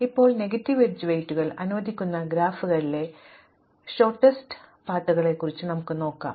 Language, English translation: Malayalam, Now, let us look at shortest paths in graphs where we allow Negative Edge weights